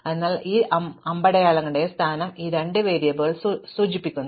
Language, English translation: Malayalam, So, these two variables indicate the position of these two arrows